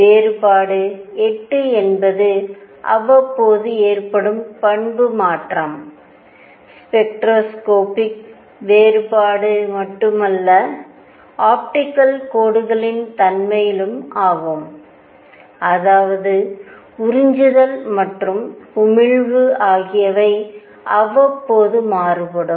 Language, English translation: Tamil, The difference of 8 periodically the property change, not only that the spectroscopic the nature of optical lines; that means, absorption and emission also varied in periodic fashion